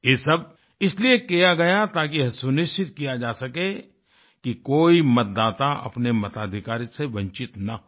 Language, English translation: Hindi, All this was done, just to ensure that no voter was deprived of his or her voting rights